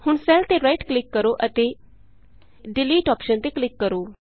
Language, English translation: Punjabi, Now right click on the cell and click on the Delete option